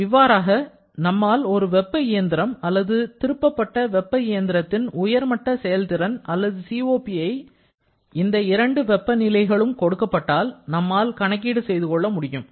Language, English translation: Tamil, So, this way we can calculate the upper limit of efficiency or COP for a heat engine or reversed heat engine respectively once the two temperature limits are given